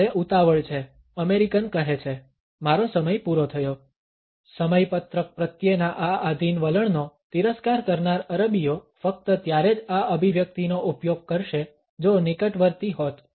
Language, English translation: Gujarati, I have the rush says the American, my time is up the Arab scornful of this submissive attitude to schedules would only use this expression if (Refer Time: 28:43) were imminent